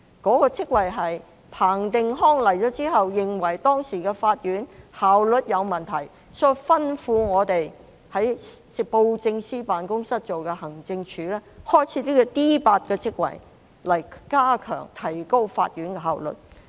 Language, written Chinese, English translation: Cantonese, 該職位是彭定康上任後，認為當時的法院效率有問題，所以吩咐我們在當時的布政司辦公室轄下的行政署，開設這個 D8 級別的職位，以加強及提高法院的效率。, The post was created after the arrival of Chris PATTEN who considered that the courts had efficiency problems and he therefore instructed us the Administration Wing under the then Government Secretariat to create that D8 post with a view to enhancing court efficiency